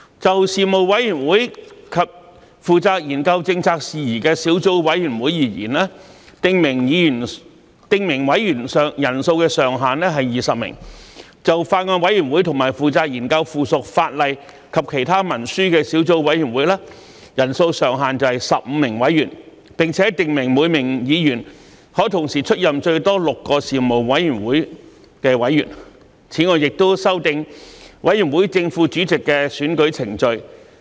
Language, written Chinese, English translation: Cantonese, 就事務委員會及負責研究政策事宜的小組委員會而言，訂明委員人數上限為20名；就法案委員會和負責研究附屬法例及其他文書的小組委員會，人數上限為15名委員，並訂明每名議員可同時出任最多6個事務委員會的委員；此外亦修訂委員會正副主席的選舉程序。, For Panels and subcommittees on policy issues the membership size is capped at 20 members; for Bills Committees and subcommittees on subsidiary legislation and other instruments the membership size is capped at 15 members and it is stipulated that each Member may serve on a maximum of six Panels at the same time; whereas the election procedure for the chairman and deputy chairman of a committee is also revised